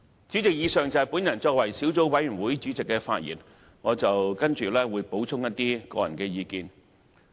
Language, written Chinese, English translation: Cantonese, 主席，以上是我作為小組委員會主席的發言，接下來我會補充一些個人意見。, Having made the above speech in my capacity as a Chairman of the Subcommittee I will go on to add some personal views